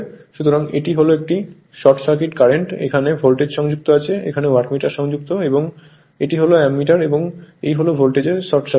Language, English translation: Bengali, So, this is as this is my short circuit current, this is the Voltmeter is connected, Wattmeter is connected and this is Ammeter and this is the your what you call thatlow voltage value short circuit, it is shorted right